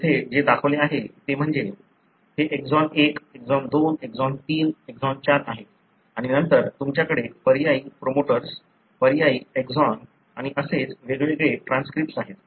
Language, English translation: Marathi, What is shown here is, you know, this is exon 1, exon 2, exon 3, exon 4 and then you have different transcripts having alternate promoters, alternate exons and so on